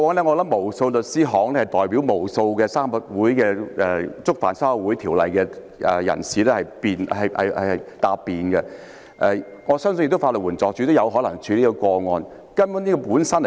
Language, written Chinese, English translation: Cantonese, 過往不少律師行曾代表無數觸犯《社團條例》的人士答辯，我也相信法援署可能曾處理此類個案。, In the past many law firms had represented and defended countless individuals who violated the Societies Ordinance and I also believe that LAD might have handled such cases